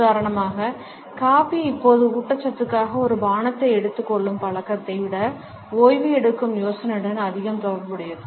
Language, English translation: Tamil, For example, coffee is now associated more with the idea of taking a break than with taking a drink for nourishment